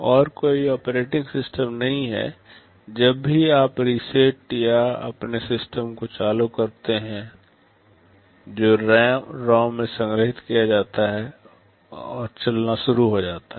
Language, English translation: Hindi, And there is no operating system, whenever you reset or power on your system the program which is stored in the ROM starts running